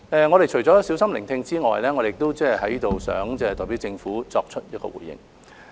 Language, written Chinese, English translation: Cantonese, 我們除了小心聆聽外，在此亦想代表政府作出回應。, After listening to Members carefully I would like to respond on behalf of the Government